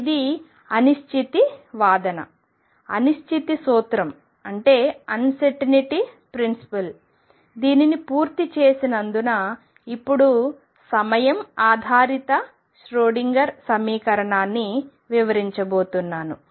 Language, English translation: Telugu, With this completion of uncertainty argument uncertainty principle I am now going to go to the time dependent Schroedinger equation